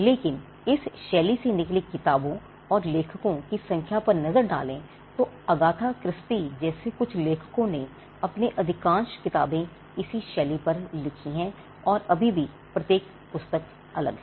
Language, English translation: Hindi, But look at the number of books that has come out of this genre and look at the number of authors some authors like Agatha Christie she has written most of her books on this genre and still each book is different